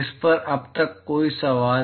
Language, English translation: Hindi, Any questions on this so far